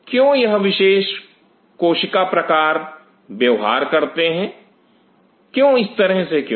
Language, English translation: Hindi, Why these particular cell types behave since such a way